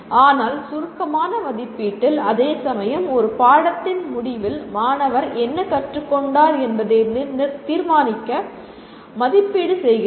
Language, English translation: Tamil, Whereas summative assessment is, you are assessing to determine to what is it that the student has learnt either up to a point or at the end of a course